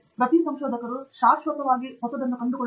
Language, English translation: Kannada, That every researcher forever can actually keep discovering something new; that is what I believe in